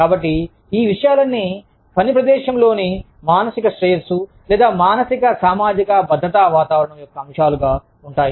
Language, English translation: Telugu, So, all of these things, constitute as elements, of the psychological well being in the, or, psychosocial safety climate, in the workplace